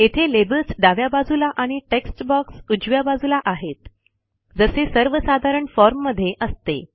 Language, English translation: Marathi, Here the labels are to the left and the text boxes on the right, just like a typical paper form